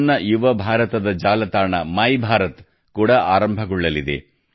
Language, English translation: Kannada, Mera Yuva Bharat's website My Bharat is also about to be launched